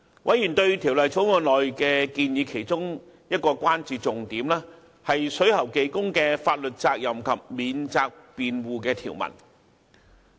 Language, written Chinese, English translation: Cantonese, 委員對《條例草案》所載建議的其中一個關注重點，是水喉技工的法律責任及法定免責辯護條文。, Among members key concerns regarding the proposals set out in the Bill are the liabilities of plumbing workers and the provision on statutory defence